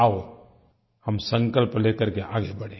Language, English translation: Hindi, Let us forge ahead with a strong resolution